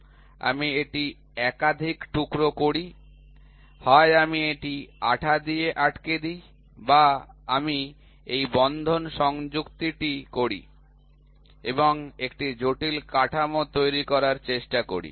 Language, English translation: Bengali, I do it in multiple pieces either I glue it or I do this fastening attachment and try to make a complex structure